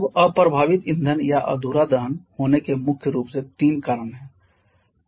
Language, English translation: Hindi, Now there are primarily 3 reasons for having unburned fuel or incomplete combustion